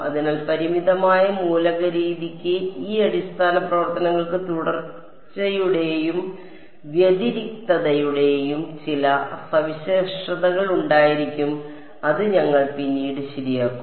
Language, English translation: Malayalam, So, the finite element method needs that these basis functions they should have certain properties of continuity and differentiability which we will come to later ok